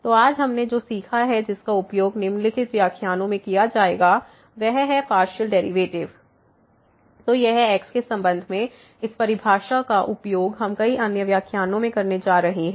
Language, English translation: Hindi, So, what we have learnt today which will be used in following lectures is the Partial Derivatives; so, it with respect to this definition we are going to use in many other lectures